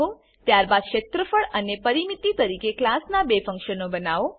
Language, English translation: Gujarati, Then Create two functions of the class as Area and Perimeter